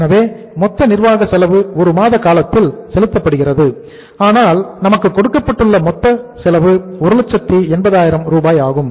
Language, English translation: Tamil, So total administrative cost is paid in the 1 month period but the total cost is given to us is 1,80,000